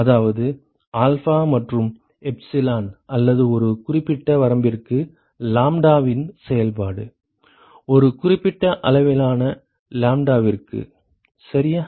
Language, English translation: Tamil, To which means that alpha and epsilon or not function of lambda for a certain range, for a certain range of lambda, alright